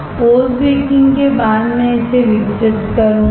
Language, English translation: Hindi, After post baking I will develop it